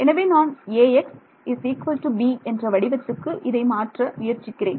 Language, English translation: Tamil, So, I am trying to write Ax is equal to b